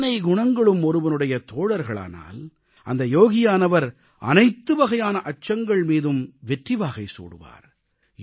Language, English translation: Tamil, When so many attributes become one's partner, then that yogi conquers all forms of fear